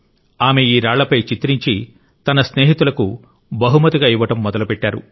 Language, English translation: Telugu, After painting these stones, she started gifting them to her friends